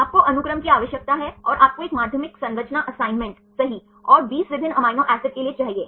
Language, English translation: Hindi, You need the sequence and you need a secondary structure assignment right and for 20 different amino acids